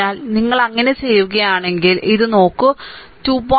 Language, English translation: Malayalam, So, if you do so, look this 2